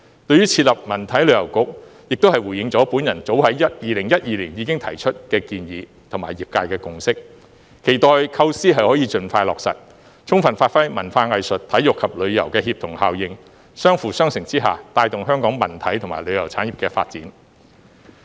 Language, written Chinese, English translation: Cantonese, 對於設立文體旅遊局，亦是回應了我早在2012年已提出的建議和業界的共識，期待構思可以盡快落實，充分發揮文化藝術、體育及旅遊協同效應，相輔相成之下，帶動香港文體和旅遊產業的發展。, The establishment of the Culture Sports and Tourism Bureau is also a measure proposed by the Government in response to a proposal I made as early as in 2012 and a consensus of the industry . I hope the idea can be realized as soon as possible to give full play to the synergy of culture arts sports and tourism so as to promote the development of Hong Kongs culture sports and tourism industries